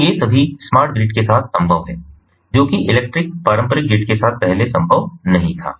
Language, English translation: Hindi, so these are all possible with the smart grid, which was not possible before with the electric ah traditional grid